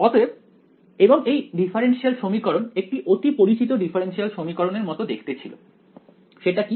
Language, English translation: Bengali, So, and that differential equation looked like a well known differential equation which is